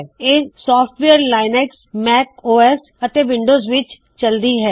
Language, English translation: Punjabi, It is supposed to work on Linux, Mac OS X and also on Windows